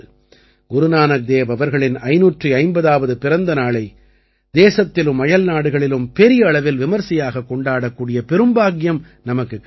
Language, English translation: Tamil, We had the privilege of celebrating the 550th Prakash Parv of Guru Nanak DevJi on a large scale in the country and abroad